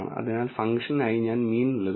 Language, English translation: Malayalam, So, I am giving mean as the function